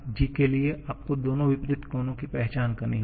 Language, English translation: Hindi, For g, you have to identify both the opposite corners